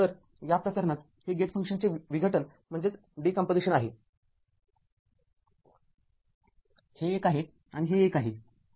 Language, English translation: Marathi, So, in this case this is a decomposition of the gate function; this one and this one